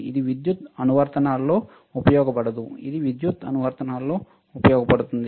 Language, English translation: Telugu, The application is different, this cannot be used in power applications, this can be used in power applications